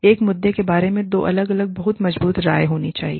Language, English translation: Hindi, There have to be, two different, very strong opinions, about an issue